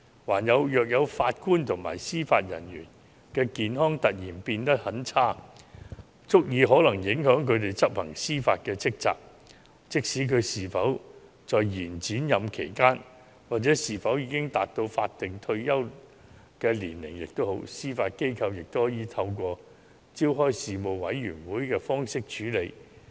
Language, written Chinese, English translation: Cantonese, 如某位法官或司法人員的健康情況突然變得很差，可能足以影響他執行司法職責，無論是否在延展任期期間或是否已達到法定退休年齡，司法機構也可透過召開醫事委員會處理。, If the medical condition of a JJO deteriorates substantively which may affect the performance of judicial duties even if heshe is on extended term of office or has not yet reached the statutory retirement age the case may be handled by the Judiciary by convening a medical board